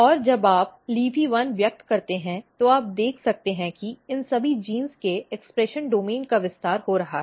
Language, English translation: Hindi, And you when you over express LEAFY 1 you can see that expression domain of all these genes are getting expanded